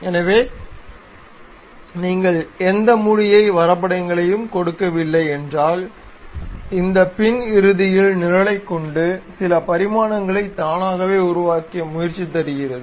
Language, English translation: Tamil, So, if you are not giving any closed entities, it try to have this back end program which automatically assumes certain dimensions try to construct this